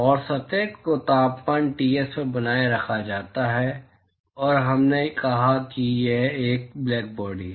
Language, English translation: Hindi, And the surface is maintained at temperature Ts, and we said that it is a blackbody